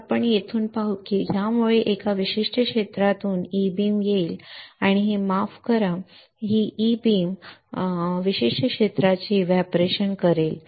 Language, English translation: Marathi, So, let us let us see from here it will cause E beam from this particular area and it will oh sorry because E beam evaporation the particular area